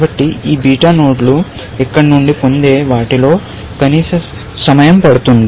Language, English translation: Telugu, So, these beta nodes will take the minimum of what they get from here